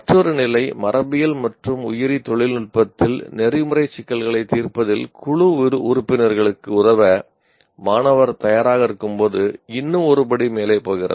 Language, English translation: Tamil, Another level, one more step further, the student is willing to assist teammates in resolving ethical issues in genetics and biotechnology